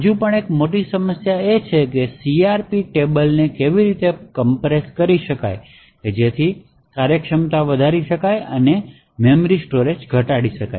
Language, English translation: Gujarati, There is still a huge problem of solving the CRP issue and how the CRP tables could be actually compressed so that the efficiency and the memory storage can be reduced